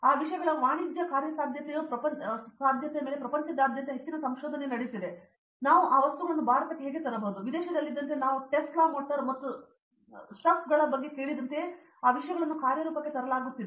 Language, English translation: Kannada, The commercial viability of those things a lot of research is going on throughout the world and how we can bring those things to India, like in abroad those things are being implemented like we I have heard of Tesla motors and stuff